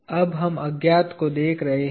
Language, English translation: Hindi, Now, we are looking at the unknowns